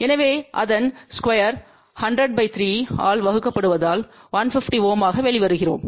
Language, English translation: Tamil, So, square of that divided by 100 by 3 we simplify that comes out to be 150 ohm